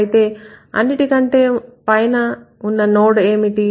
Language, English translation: Telugu, And what is the top node here